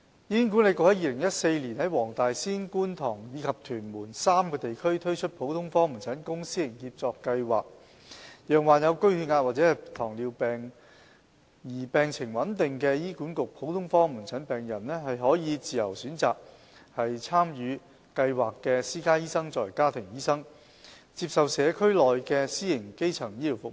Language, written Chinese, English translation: Cantonese, 醫管局於2014年在黃大仙、觀塘及屯門3個地區推出普通科門診公私營協作計劃，讓患有高血壓或糖尿病而病情穩定的醫管局普通科門診病人，可以自由選擇參與計劃的私家醫生作為家庭醫生，接受社區內的私營基層醫療服務。, In 2014 HA launched the General Outpatient Clinic Public Private Partnership Programme in three districts namely Wong Tai Sin Kwun Tong and Tuen Mun to enable clinically stable patients having hypertension or diabetes mellitus currently taken care of by HA general outpatient clinics to freely choose private doctors participating in the Programme to be their family doctors and receive primary care services from the private sector